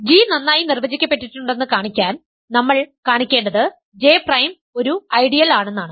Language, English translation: Malayalam, To show g is well defined, what we have to show is, if J prime is an ideal